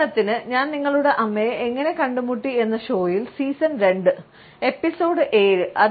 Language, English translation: Malayalam, For example, in the show how I met your mother; season two, episode seven